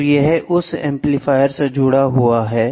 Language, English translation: Hindi, So, it is attached to an amplifier from that amplifier